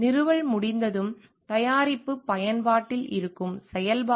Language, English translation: Tamil, After installation is done, the function which is there is the use of the product